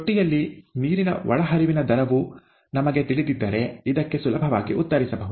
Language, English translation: Kannada, This can be easily answered if we know the input rate of water into the tank